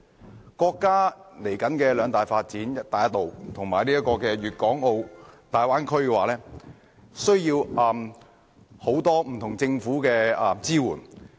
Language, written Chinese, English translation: Cantonese, 作為國家未來的兩大發展項目，"一帶一路"和粵港澳大灣區需要來自政府的多方面支援。, Regarding the two major development projects of our country in the future namely the Belt and Road Initiative and the Guangdong - Hong Kong - Macao Bay Area government support on various fronts is needed